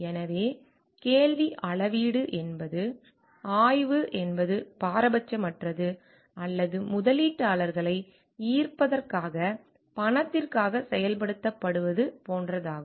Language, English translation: Tamil, So, question measure is like is the study unbiased or it is just going to be implemented for the sake of money to attract investors